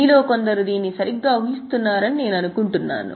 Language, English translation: Telugu, I think some of you are guessing it correctly